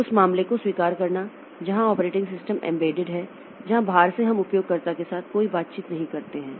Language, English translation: Hindi, Excepting the case where the operating system is an embedded one where the from the outside we do not have any interaction with the user